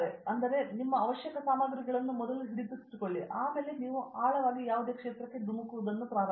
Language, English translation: Kannada, So, first is get hold of your necessary ammunition and then you start deep dive